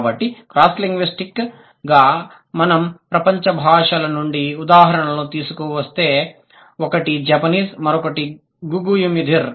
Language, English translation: Telugu, So, cross linguistically, if we bring in the examples from the world's languages, then one is Japanese, the other one is Guku Imedir